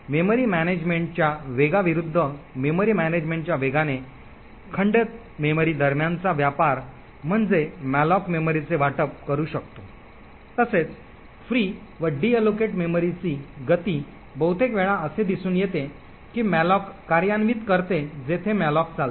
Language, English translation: Marathi, Trade off between the speed of memory management versus the fragmented memory by speed of memory management imply the speed with which malloc can allocate memory as well as the speed with which free and deallocate memory quite often it is seen that implementations of malloc where malloc runs extremely fast would often result in fragmented memory